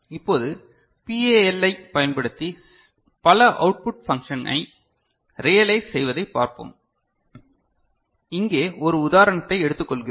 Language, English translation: Tamil, Now, let us look at realization of multiple output function using PAL, we take one example here right